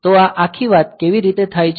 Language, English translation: Gujarati, So, how this whole thing is done